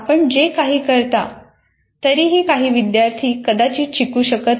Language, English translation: Marathi, Some people, in spite of whatever you do, some students may not learn